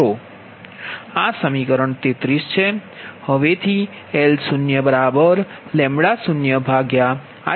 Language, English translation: Gujarati, this is equation thirty four